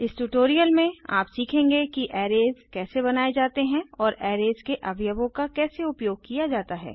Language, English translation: Hindi, In this tutorial, you will learn how to create arrays and access elements in arrays